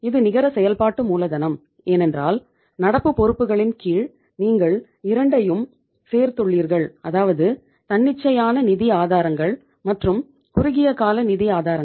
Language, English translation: Tamil, Net working capital, because under the current liabilities you have included both; spontaneous sources of finance and the short term sources of the finance